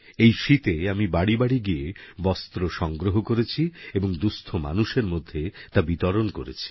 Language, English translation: Bengali, This winter, I collected warm clothes from people, going home to home and distributed them to the needy